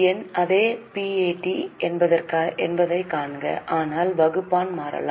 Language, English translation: Tamil, See, the numerator is same, PAT, but the denominator can change